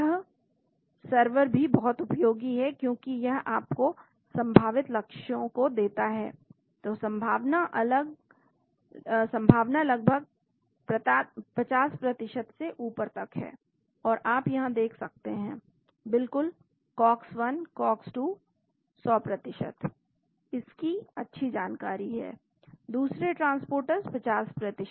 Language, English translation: Hindi, So, this server is also very useful because it gives you possible targets so probability almost > 50% here and you can see here of course COX 1 and COX 2, 100%, tt is well known other transporters 50%